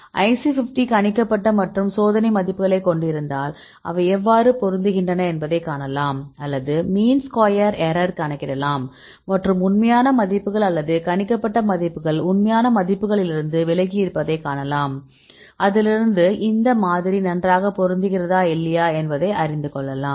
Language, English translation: Tamil, So if you have the IC50 predicted versus experimental right then you can calculate the correlation see how they can fit or you can calculate the mean square error and see how far the actual values right or the predicted values deviate from the actual values right you can see from that you can see whether this model fits well or not